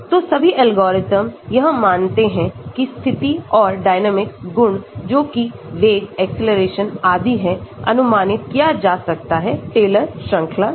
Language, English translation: Hindi, So, all the algorithms assume that the position and dynamic properties that is the velocities, acceleration etc can be approximated by Taylor series